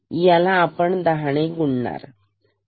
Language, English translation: Marathi, This multiplied by 10; 10